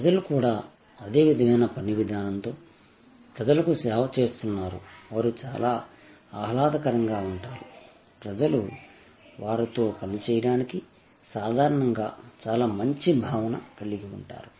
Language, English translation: Telugu, The people are also the serving people there of similar work ethic, they are very pleasant; people have a generally very good sense of working with them